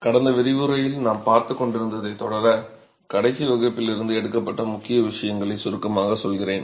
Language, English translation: Tamil, So, to continue with what we were looking at in the last lecture, let me just quickly summarize the key takeaways from the last class